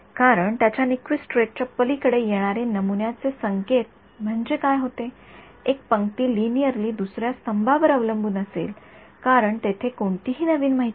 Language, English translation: Marathi, Because those yeah sampling signal beyond its Nyquist rate is what happens is that, one row will be linearly dependent one column will be linearly dependent on the other column because there is no new information